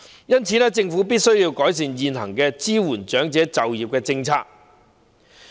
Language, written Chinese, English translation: Cantonese, 因此，政府必須改善現行支援長者就業的政策。, Therefore the Government must improve the existing policy on supporting elderly employment